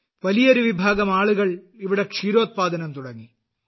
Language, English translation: Malayalam, A large number of people started dairy farming here